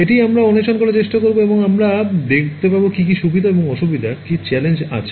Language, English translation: Bengali, That is what we will try to explore and we will see what are the advantages and disadvantages and some of the challenges ok